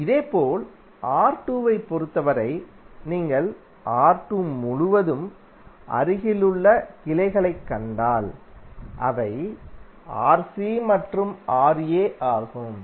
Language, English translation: Tamil, Similarly for R2, if you see the adjacent branches across R2, those are Rc and Ra